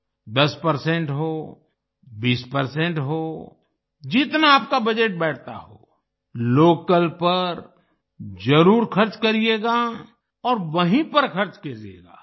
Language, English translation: Hindi, Be it ten percent, twenty percent, as much as your budget allows, you should spend it on local and spend it only there